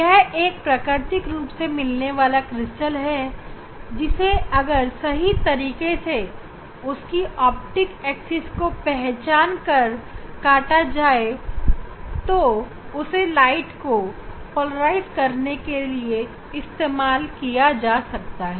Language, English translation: Hindi, it is a natural crystal and one has to cut the crystal in proper way identifying the optic axis and one can use as a for polarizing the light